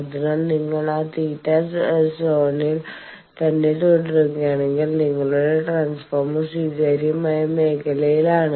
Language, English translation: Malayalam, So, roughly if you stay within that theta zone then your transformer is within the acceptable zone